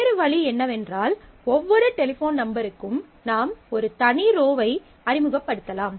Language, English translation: Tamil, So, the other way could be that for every telephone number, you introduce a separate row